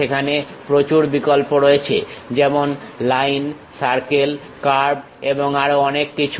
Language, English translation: Bengali, There are variety of options like Line, Circle, Curve and many more